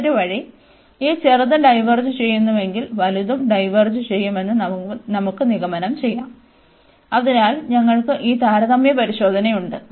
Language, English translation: Malayalam, The other way around if this smaller one diverges, we can conclude that this the larger one will also diverge, so we have this comparison test